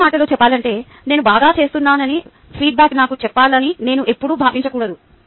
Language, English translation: Telugu, in other words, i should not always feel that the feedback should tell me i am doing well